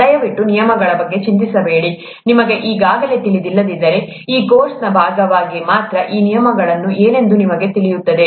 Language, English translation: Kannada, Please do not worry about the terms, you will know what those terms are only as a part of this course, if you do not already know them